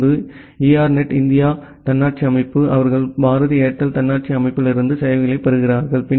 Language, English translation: Tamil, Now, ERNET India autonomous system, they are getting services from say Bharti Airtel autonomous system